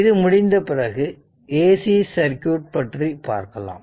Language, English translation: Tamil, So, when this topic is over we will go for ac circuit